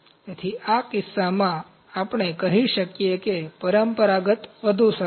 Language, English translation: Gujarati, So, in this case, we can say, traditional is better